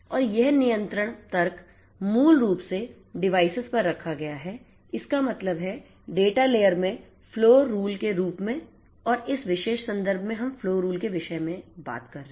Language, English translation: Hindi, And this control logic is basically placed at the devices; that means, in the data layer in the form of something known as the flow rule and it is this flow rule that we are talking about in this particular context